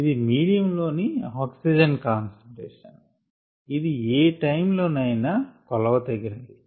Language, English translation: Telugu, ok, this is the concentration of the oxygen in the medium that is being measured